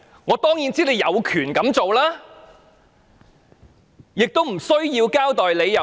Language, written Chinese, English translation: Cantonese, 我當然知道政府有權這樣做，亦不用交代理由。, I am sure that the Government has the right to do so without giving any reasons